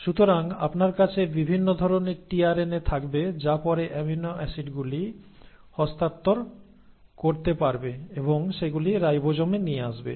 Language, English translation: Bengali, And this tRNA is; so you will have different kinds of tRNAs which can then handpick the amino acids and bring them to the ribosomes